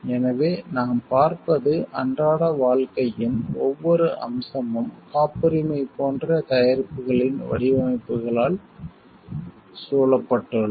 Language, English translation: Tamil, So, what we see like, every aspect of a day to day life has been surrounded by designs of products which are like patented